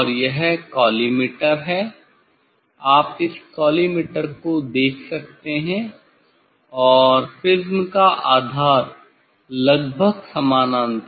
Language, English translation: Hindi, this is the collimator; this is the collimator you can see this collimator and the base of the prism almost is a parallel